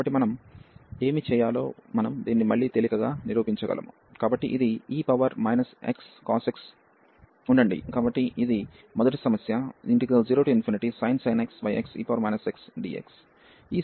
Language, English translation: Telugu, So, what we will do we can prove this again easily, so this is e power minus x cos x wait so this was the first problem e power so sin x over x e power minus x